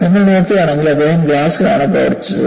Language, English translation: Malayalam, And if you look at, he was working on glass